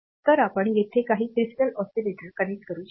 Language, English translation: Marathi, So, you can connect some crystal oscillator here